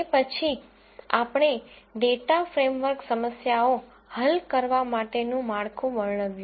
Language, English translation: Gujarati, After that we described a framework for solving data science problems